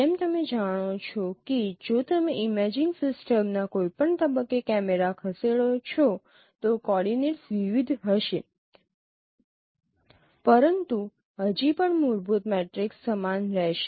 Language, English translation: Gujarati, As you know that even if you move the cameras at any point in the imaging system, the coordinates will vary but still fundamental matrix will remain the same